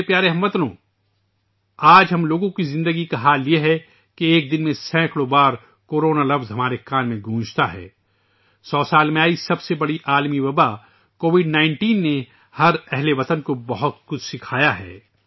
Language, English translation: Urdu, the condition of our lives today is such that the word Corona resonates in our ears many times a day… the biggest global pandemic in a hundred years, COVID19 has taught every countryman a lot